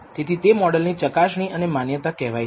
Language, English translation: Gujarati, So, this is called model assessment and validation